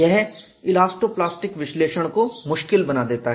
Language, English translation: Hindi, This makes elasto plastic analysis difficult